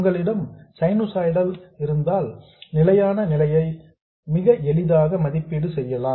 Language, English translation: Tamil, When you have sinusoid, you can evaluate the steady state quite easily